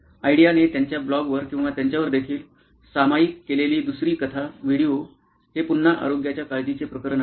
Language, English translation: Marathi, The second story that Ideo shared also on either their blog or their video is a case of again a health care case